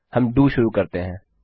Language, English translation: Hindi, We start our DO